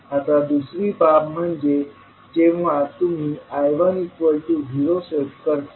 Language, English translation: Marathi, Now, second case is when you set I1 equal to 0